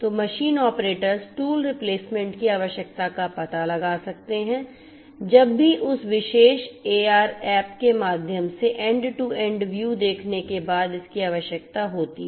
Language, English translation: Hindi, So, the machine operators can detect the need for tool replacement whenever it is required after viewing the end to end view through that particular AR app